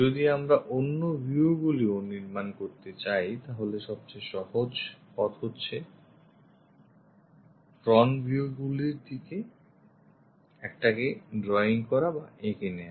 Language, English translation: Bengali, If we would like to construct other views also, the easiest way is drawing one of the view front view